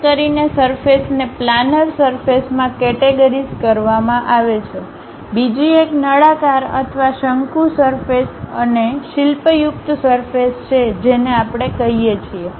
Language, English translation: Gujarati, Especially, surfaces are categorized into planar surfaces, other one is cylindrical or conical surfaces and sculptured surfaces we call